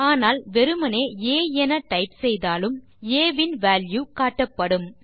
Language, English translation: Tamil, As you can see, even when you type just a, the value of a is shown